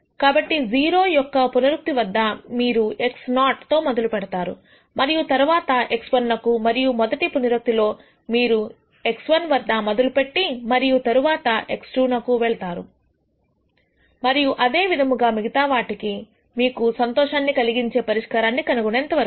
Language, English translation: Telugu, So, at the 0 th iteration you will start with x 0, move to a point x 1 and at the rst iteration you will start at x 1 and move to x 2 and so on, till you nd the solution that you are happy with